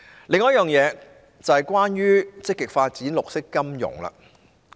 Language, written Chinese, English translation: Cantonese, 另一點是關於積極發展綠色金融。, Another point is about the active development of green finance